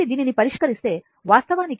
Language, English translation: Telugu, So, if you solve this v actually this is v infinity